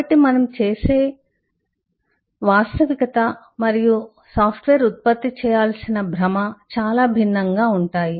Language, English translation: Telugu, so the reality of what we do and the illusion of that the software has to produce are very different